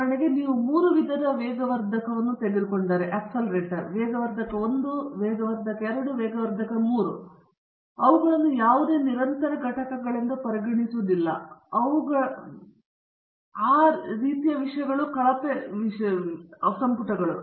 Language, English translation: Kannada, For example, if you are having three different types of catalysts catalyst 1, catalyst 2, catalyst 3, you don’t really a consider them as any continuous entities, because you are not representing them in terms of the b e t surface area, and poor volumes, and things like that